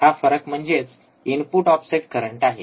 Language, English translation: Marathi, Here, we are looking at input offset current